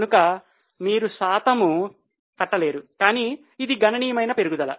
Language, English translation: Telugu, So you can't calculate percentage but it's a sizable increase